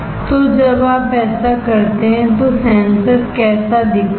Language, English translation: Hindi, So when you do this, how the sensor looks like